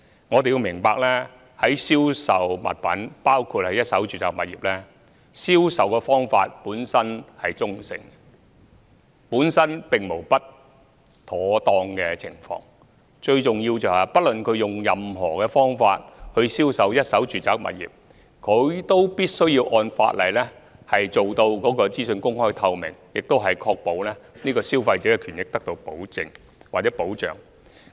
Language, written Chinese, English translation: Cantonese, 我們要明白銷售物品——包括一手住宅物業——本來的銷售方法是中性的，本身並無不妥當，最重要是無論用任何方法銷售一手住宅物業，發展商均須按法例做到資訊公開透明，並確保消費者的權益得到保證或保障。, We have to understand that the ways of selling items―including first - hand residential properties―are neutral per se and there is nothing wrong with them . The most important thing is that no matter what sale method is used to sell first - hand residential properties developers must ensure the openness and transparency of information in accordance with law and ensure that consumer interests are guaranteed or protected